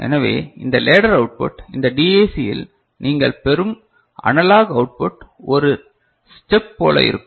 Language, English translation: Tamil, So, this ladder output, this analog output that DAC that you get which will be a step like this thing output